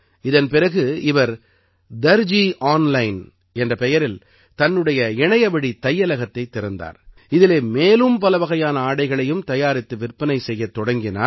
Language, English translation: Tamil, After this he started his online store named 'Darzi Online' in which he started selling stitched clothes of many other kinds